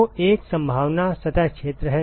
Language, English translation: Hindi, So, one possibility is surface area